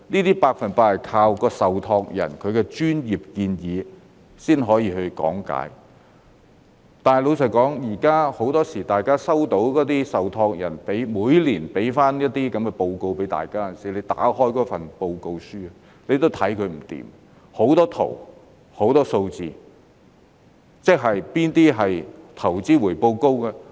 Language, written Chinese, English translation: Cantonese, 這些百分百要靠受託人的專業建議和講解，但老實說，大家每年收到受託人的報告書，怎樣看也看不明白，有很多圖表和很多數字，哪些是投資回報高的呢？, Yet frankly the reports we received from the trustees every year are just incomprehensible . There are loads of charts and figures . Which ones yield a high investment return?